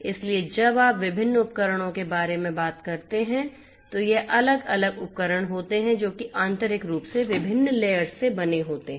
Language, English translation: Hindi, So, when you talk about different devices these are the different devices that internally are composed of different different layers